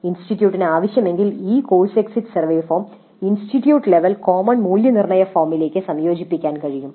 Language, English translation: Malayalam, If the institute requires this course exit survey can be integrated into the institute level common evaluation form, that is okay